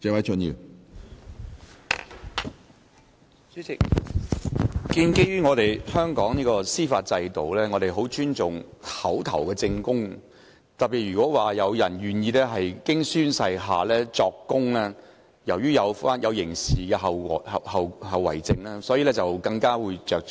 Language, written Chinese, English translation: Cantonese, 主席，香港的司法制度十分尊重口頭證供，特別是如果有人願意經宣誓下作供，由於涉及刑事後果，所以更為着重。, President oral evidence has been held in considerable respect under the judicial system of Hong Kong where a great deal of importance has been attached particularly to evidence given on oath as criminal liability is involved